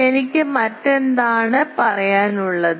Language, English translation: Malayalam, And what else I need to say